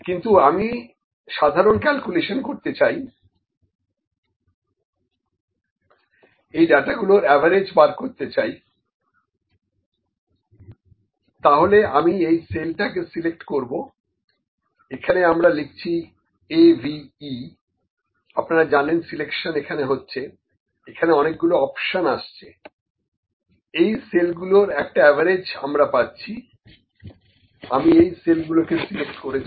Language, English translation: Bengali, But the simple calculation I like to do, if I need to find the average of this data, I will just put I just select this cell, put this is equal to AVE, you know selection is they are options are coming here this is average of these cells, I have select this cells